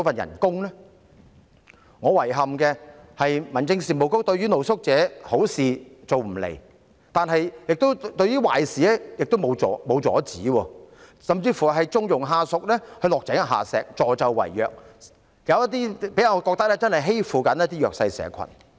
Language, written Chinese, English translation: Cantonese, 我感到遺憾的是，民政事務局對露宿者不但好事做不來，亦沒有阻止壞事發生，甚至縱容下屬落井下石，助紂為虐，有些個案給我的感覺就是他們欺負弱勢社群。, I find it regrettable that not only did the Home Affairs Bureau fail to do anything good for street sleepers but it also did not stop bad things from happening and even condoned its staffs behaviour of adding insult to injury aiding and abetting evil - doers . Some cases gave me the impression that they bullied the disadvantaged in society